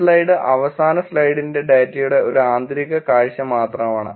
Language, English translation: Malayalam, This slide is just a inside view of the data of the last slide